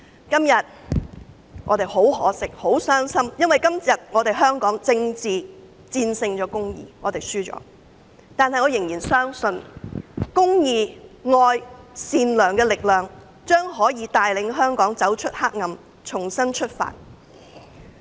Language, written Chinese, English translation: Cantonese, 今天，我們感到很可惜、很傷心，因為今天政治戰勝公義，我們輸了，但我仍然相信公義、愛、善良的力量將可帶領香港走出黑暗，重新出發。, Today we find it regrettable and sad because politics has defeated justice and we have lost . Yet I still believe that the power of justice love and kindness will lead Hong Kong out of darkness and we can start all anew